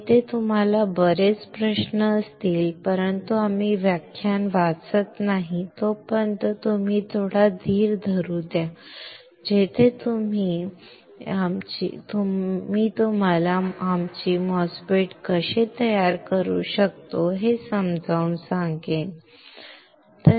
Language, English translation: Marathi, Here you may have lot of questions, but let you wait have some patience until we read to the lecture where I explain you how you can fabricate our MOSFET, alright